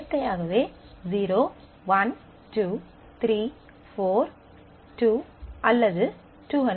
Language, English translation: Tamil, Naturally 0, 1, 2, 3, 4, 2, or 200